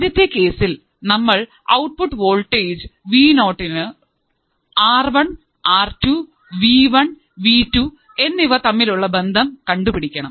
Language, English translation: Malayalam, First case is how I have to find the output voltage Vo, the relation between the R2, R1, V1, V2 with respect to Vo